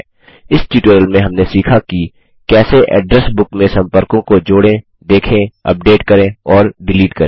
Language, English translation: Hindi, In this tutorial we learnt how to add, view, modify and delete contacts from the Address Book